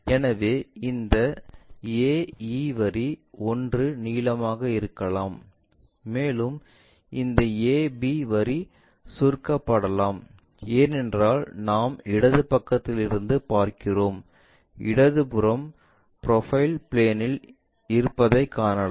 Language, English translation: Tamil, So, this AE line might be elongated 1, and this ab line might be shorten, because we are looking from left side, left side view what we have on the profile plane